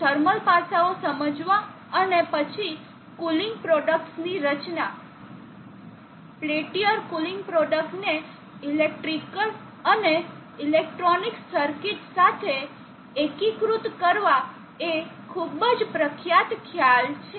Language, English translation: Gujarati, Therefore, understanding thermal aspects and then designing the cooling product, peltier cooling product together integrated with the electrical and electronic circuits is a very hard concept